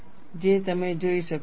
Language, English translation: Gujarati, That you can see